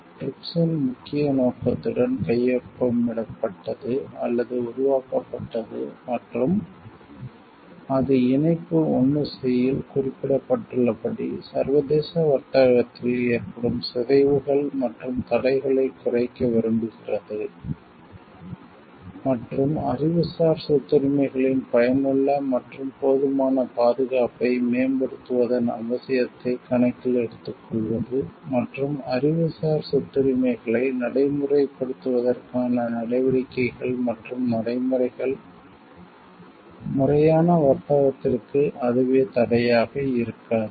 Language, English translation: Tamil, TRIPS were signed or formed with the main objective of and it is exactly as mentioned in Annexure 1 C desiring to reduce distortions and impediments to international trade and taking into account the need to promote effective and adequate protection of Intellectual Property Rights and to ensure that measures and procedures to enforce Intellectual Property Rights do not themselves becomes barriers to legitimate trade